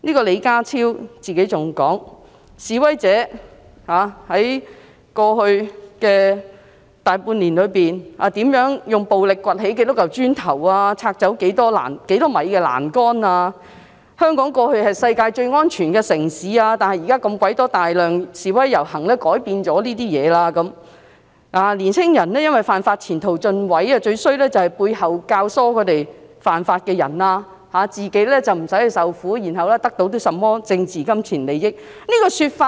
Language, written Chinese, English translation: Cantonese, 李家超更說，示威者在過去大半年，如何用暴力掘起多少塊磚頭、拆走多少米欄杆，香港過去是世界最安全的城市，但現時被大量示威遊行改變了；年輕人因為犯法，前途盡毀，最可惡的就是背後教唆他們犯法的人，自己不用去受苦，然後得到甚麼政治金錢利益。, John LEE even mentioned how many bricks had been dug up and how many metres of railings had been violently demolished by the protesters for the large part of last year; he also said that Hong Kong used to be the safest city in the world but has now been changed by a large number of demonstrations; young people who broke the law have their future ruined and people who incited the young people to break the law were most despicable because they gained political and monetary benefits without suffering hardship themselves